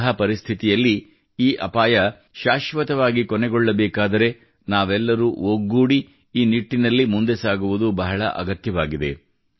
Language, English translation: Kannada, In such a situation, for this danger to end forever, it is necessary that we all move forward in this direction in unison